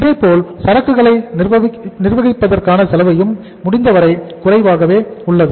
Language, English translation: Tamil, Similarly, cost of managing inventory also remains as low as possible